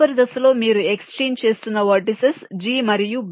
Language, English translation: Telugu, the vertices you are exchanging are g and b